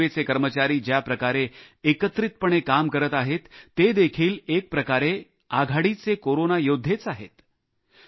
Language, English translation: Marathi, The way our railway men are relentlessly engaged, they too are front line Corona Warriors